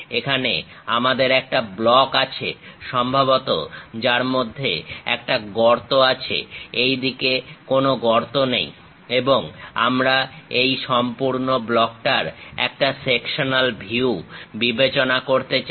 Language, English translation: Bengali, Here we have a block, which is having a hole inside of that; perhaps there is no hole on this side and we will like to consider a sectional view of this entire block